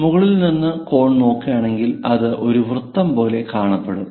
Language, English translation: Malayalam, So, if we are looking from top view for this cone again, this part we see it like a circle